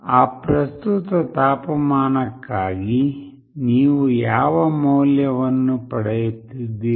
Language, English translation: Kannada, For that current temperature, what value you are getting